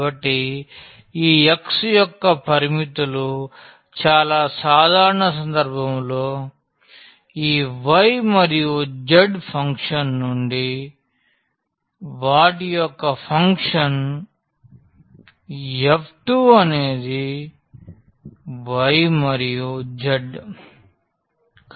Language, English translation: Telugu, So, the limits for this x in a very general case can be a function of this y and z to the function f 2 their y and z